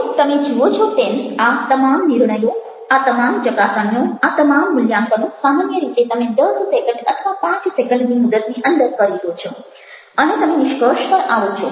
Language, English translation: Gujarati, now you see that, ah, all these judgments, all these assessments, all these evolutions you generally make within a period of less than ten seconds, or even five seconds, and you come to conclusion